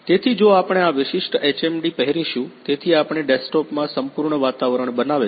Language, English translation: Gujarati, So, if we will wear this particular HMD, so we have created the complete environment in the desktop